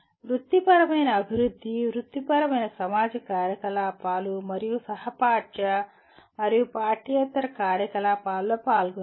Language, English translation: Telugu, Participate in professional development, professional society activities and co curricular and extra curricular activities